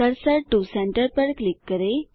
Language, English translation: Hindi, Click Cursor to Center